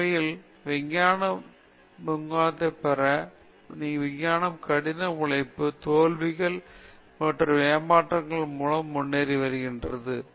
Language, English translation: Tamil, Actually, if you look at the progress of science, science has progressed through hard work, failures, and frustrations